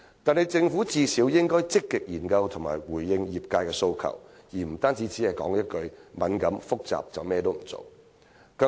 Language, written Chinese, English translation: Cantonese, 可是，政府最低限度應積極研究並回應業界訴求，而非單單說一句"敏感和複雜"便甚麼也不做。, Yet the Government should at least proactively consider and respond to the sectors demand instead of simply saying that it is sensitive and complicated and refraining from doing anything